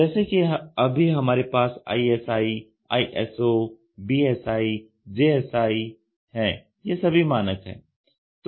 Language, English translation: Hindi, Like what we have ISI, ISO, BSI, JSI these are standards